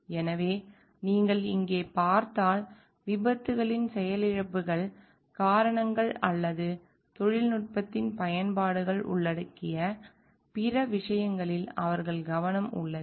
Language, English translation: Tamil, So, if you see over here; like, the their focus is on the causes of accidents malfunctions or other things that involve the uses of technology